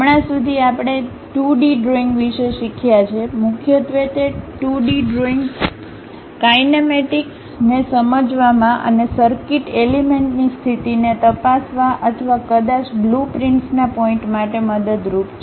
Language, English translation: Gujarati, Till now we have learned about 2D drawings, mainly those 2D drawings are helpful in terms of understanding kinematics and to check position of circuit elements or perhaps for the point of blueprints